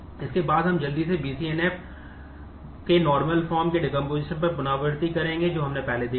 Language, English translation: Hindi, Next is the we will quickly recap on the decomposition of BCNF Boyce Codd normal form which we had seen earlier